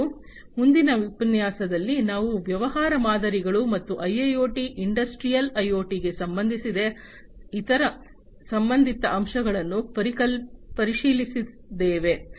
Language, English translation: Kannada, And in the next lecture, we are going to look into the business models and the different other related aspects for IIoT, Industrial IoT